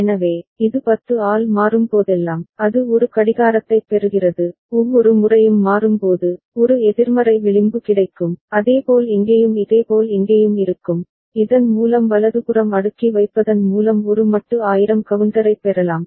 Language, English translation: Tamil, So, whenever this changes by 10, it gets a clock, I mean every time changes, there will be a negative edge available and similarly over here and similarly over here, so that way we can get a modulo 1000 counter available by cascading right